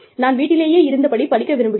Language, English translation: Tamil, I just want to stay at home and read